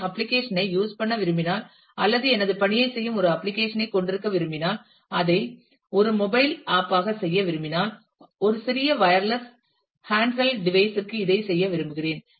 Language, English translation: Tamil, If I want to use the application or want to have an application which does my task, but I want to do it as a mobile app, I want to do it for a small wireless handled device